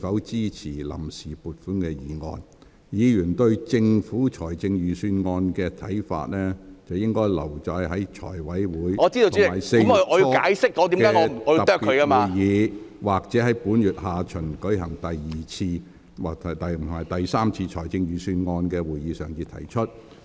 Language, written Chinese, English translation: Cantonese, 至於議員對財政預算案的意見，可留待財務委員會在4月初舉行的特別會議，或本會於該月下旬舉行的第二次及第三次財政預算案會議上提出。, As for views on the Budget Members may wait for the special meetings of the Financial Committee to be held in early April or the second and third Budget meetings of the Council scheduled for the second half of April to present their views